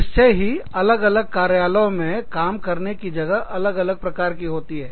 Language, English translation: Hindi, Of course, different offices have, different workplaces